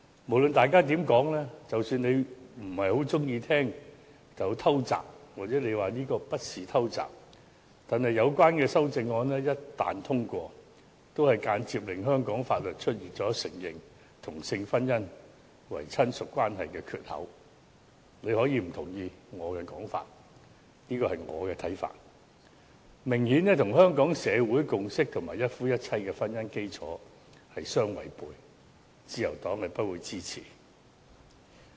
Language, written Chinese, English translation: Cantonese, 無論大家怎麼說，即使你不太喜歡被指是"偷襲"，或你說這不是"偷襲"，有關修正案一旦獲得通過，也會間接令香港法律出現承認同性婚姻為"親屬"的缺口——你可以不認同我的說法，但這是我的看法——這明顯與香港社會的共識及一夫一妻的婚姻基礎相違背，而自由黨不會支持。, Regardless of what Members have said and even if you disapprove of the criticism of making a surprise attack or deny such an allegation the passage of the relevant amendments will indirectly create a loophole in the laws of Hong Kong for recognizing a partner in a same - sex marriage as relative―you can disagree with my remarks but this is my own viewpoint―it is obviously contrary to the consensus of Hong Kong society and the marriage institution of monogamy and the Liberal Party will not support such amendments